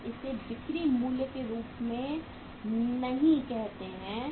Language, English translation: Hindi, We do not call it as the selling price